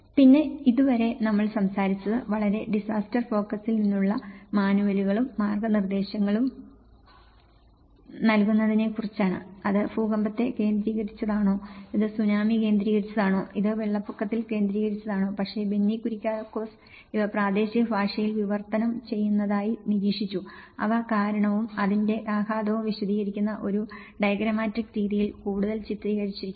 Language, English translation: Malayalam, And then till now, we have spoken about we have discussed our discussion about the giving the manuals and guidance from a very disaster focus, whether it is an earthquake focus, whether it is a tsunami focused and it is a flood focused but in Benny Kuriakose, we have observed that these are being translated in the local language which and illustrated more in a diagrammatic manner explaining the cause and the reason for it and the impact of it